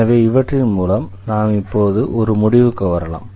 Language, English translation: Tamil, So, with this we come to the conclusion now